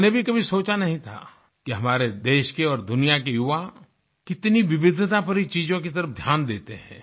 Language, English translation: Hindi, I had never thought that the youth of our country and the world pay attention to diverse things